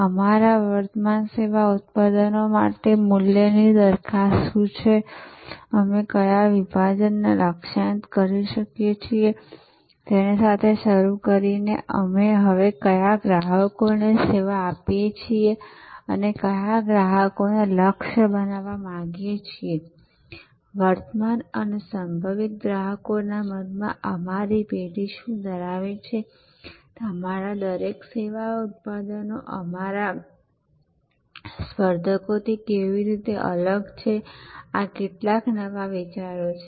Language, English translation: Gujarati, Starting with what is the value proposition for our current service products and which market segment we are targeting, what customers we serve now and which ones would we like to target, what does our firm stand for in the minds of the current and potential customers, how does each of our service products differ from our competitors, these are some new ideas